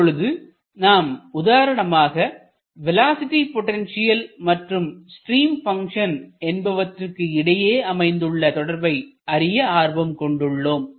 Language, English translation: Tamil, So, now, we are interested say about a relationship between the velocity potential and the stream function